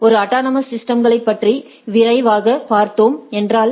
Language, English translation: Tamil, So, just a quick slide that is a autonomous system